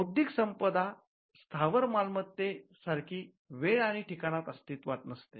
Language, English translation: Marathi, Intellectual property does not exist in time and space like real property